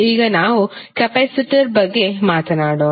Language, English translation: Kannada, Now, let us talk about the capacitor